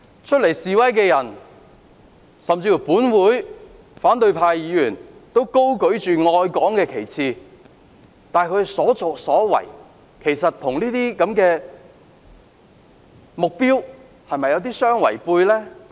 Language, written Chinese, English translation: Cantonese, 出來示威的人，甚至本會的反對派議員均高舉愛港的旗幟，但他們的所作所為，是否與這相違背？, People who take to the streets and even opposition Members in this Council uphold the banner of loving Hong Kong but are their acts consistent with what they claim?